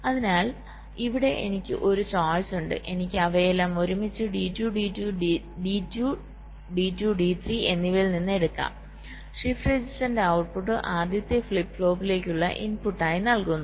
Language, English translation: Malayalam, i can take from d two, d two, d three are all of them together, and output of the shift register is fed as the input to the first flip flop